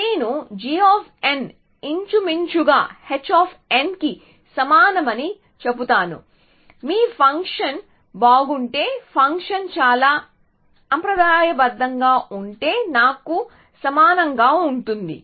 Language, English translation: Telugu, So, I will say g of n is roughly equal to h of n if your function is good, then it will be closer to me equal if the function is very conservative